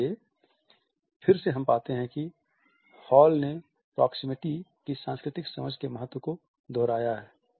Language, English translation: Hindi, So, again we find that Hall has repeatedly highlighted the significance of cultural understanding of proximity